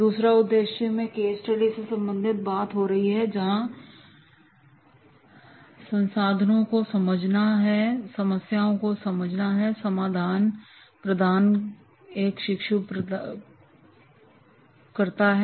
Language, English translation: Hindi, Second objective is while going through the case study, by understanding the resources, by understanding the problem, while providing the solution, what the trainee does